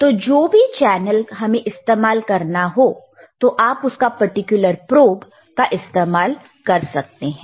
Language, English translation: Hindi, So, depending on what channel, you want to use, you can use the particular probe